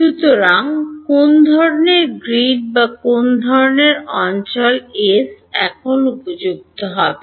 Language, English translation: Bengali, So, what kind of a grid or what kind of a region S will be suitable now